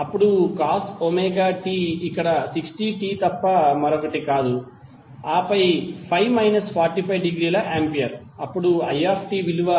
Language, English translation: Telugu, Then cos Omega T is nothing but 60t over here and then Phi is minus 45 degree Ampere